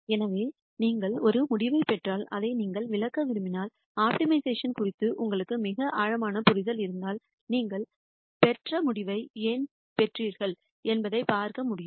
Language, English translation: Tamil, So, if you get a result and you want to interpret it, if you had a very deep understanding of optimization you will be able to see why you got the result that you got